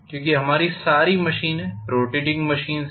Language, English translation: Hindi, Because all our machines are rotating machines